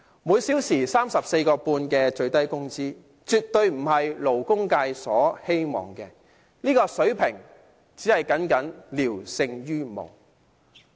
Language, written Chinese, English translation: Cantonese, 每小時 34.5 元的最低工資，絕對不是勞工界的希望，這個水平僅僅聊勝於無。, The minimum wage of 34.5 per hour is definitely not the level the labour sector hoped for it is merely better than nothing